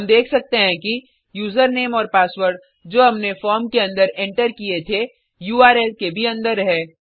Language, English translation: Hindi, We can see that username and password that we had entered in the form is inside the URL also